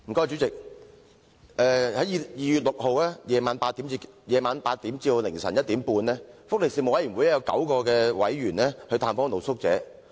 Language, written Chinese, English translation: Cantonese, 主席，在2月6日晚上8時至凌晨1時半，福利事務委員會有9位委員曾探訪露宿者。, President nine members of the Panel on Welfare Services conducted a visit to street sleepers from 8col00 pm on 6 February to 1col30 am the next day